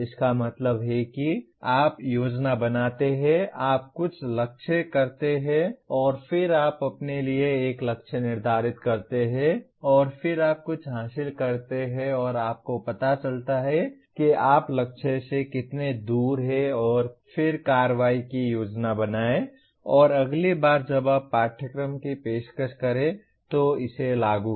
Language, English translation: Hindi, That means you plan, you aim at something and then you set a target for yourself and then you attain something and you find out how far you are from the target and then plan action and implement it next time you offer the course